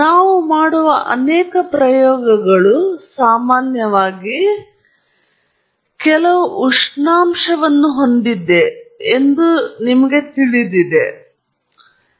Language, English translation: Kannada, So now, many experiments that we do, commonly we will start by saying that, you know, the experimental setup was set some temperature